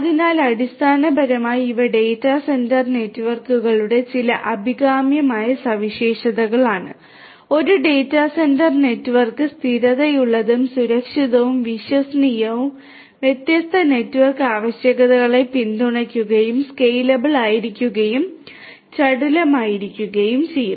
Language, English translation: Malayalam, So, basically these are some of these desirable properties of the data centre networks a data centre network has to be stable, secure, reliable, should support different network requirements, should be scalable and should be agile